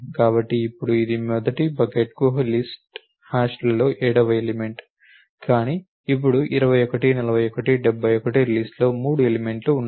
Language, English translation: Telugu, So, now, this is the seventh element in the list hashes to the first bucket, but, now 21 41 71 there are 3 elements in the list